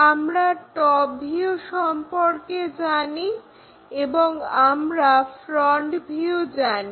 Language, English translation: Bengali, So, what we know is this top view we know front view we know